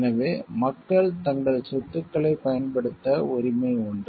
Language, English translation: Tamil, So, people have the right to use their property